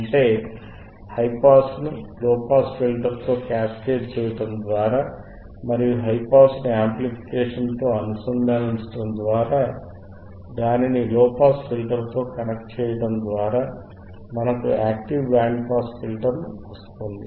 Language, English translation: Telugu, That means that, now by cascading the high pass with low pass ends and integrating high pass with amplification, and then connecting it to low pass, this will give us the this will give us a high a simple active band pass filter, alright